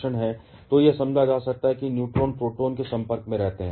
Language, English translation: Hindi, So, it can be understood that, neutrons stay in contact with the protons